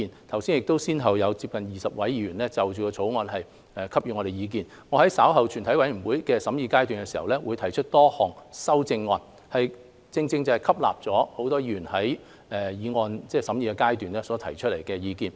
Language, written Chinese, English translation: Cantonese, 剛才先後有20多位議員就《條例草案》發表意見，我稍後在全體委員會審議階段提出的多項修正案，正是吸納了多位委員在《條例草案》審議階段所提出的意見。, Today more than 20 Members have spoken on the Bill . The amendments which I will later move in the Committee stage have incorporated the views of members expressed in the deliberation of the Bill